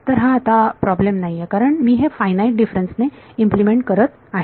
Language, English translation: Marathi, Now this is not a problem because I am implementing this by finite differences